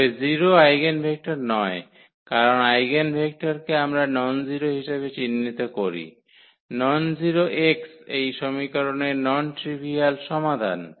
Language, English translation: Bengali, But, 0 is not the eigenvector because the eigenvector we define as the nonzero, nonzero x the non trivial solution of this equation